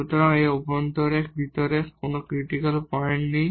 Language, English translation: Bengali, So, here there is no critical point inside this interior here